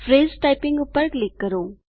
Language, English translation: Gujarati, Click Phrase Typing